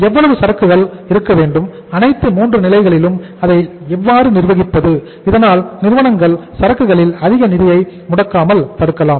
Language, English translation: Tamil, How much inventory to keep it, all the 3 levels and how to manage it so that the firms do not block more funds into the inventory